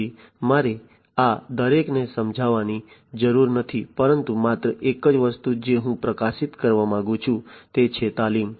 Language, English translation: Gujarati, So, I do not need to explain each of these, but only thing that I would like to highlight is the training